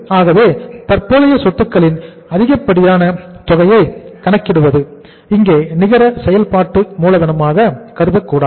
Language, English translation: Tamil, So it means when we calculated the excess of current, this is not the net working capital